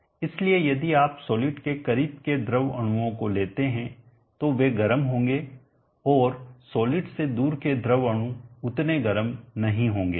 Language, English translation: Hindi, So if you consider the fluid molecules close to this solid they will be hot, and the fluid molecules away from the solid they will not be as hot